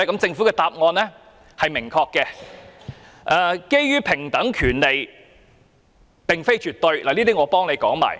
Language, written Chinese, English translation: Cantonese, 政府的答案很明確，政府的看法是平等權利並非絕對。, The Government holds that the right to equality is not absolute